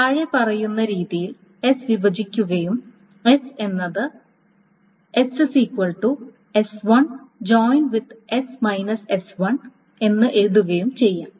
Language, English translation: Malayalam, Now S can be broken up into the following manner